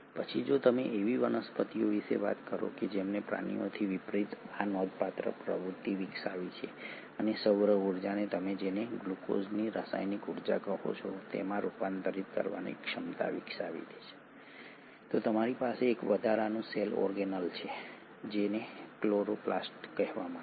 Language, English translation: Gujarati, Then if you talk about plants which unlike animals have developed this remarkable activity and ability to convert solar energy into what you call as the chemical energy which is the glucose, you have an additional cell organelle which is called as the chloroplast